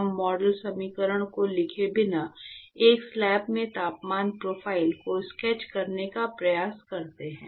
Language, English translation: Hindi, We try to sketch the temperature profile in a slab without writing the model equation